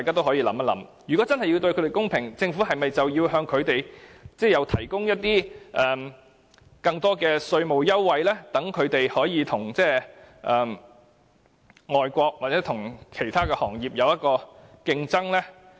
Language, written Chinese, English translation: Cantonese, 所以，如果真想對它們公平，政府是否應向它們提供更多稅務優惠，使它們與外國或其他行業有競爭呢？, For that reason if we are to treat them fairly should the Government provide them with more tax concessions so as to enable them to compete with foreign countries or other businesses?